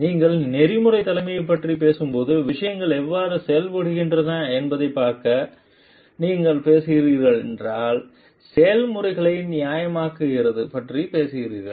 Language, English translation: Tamil, And if you are talking of to see how things are done when you talking of ethical leadership you talking institutionalized in the processes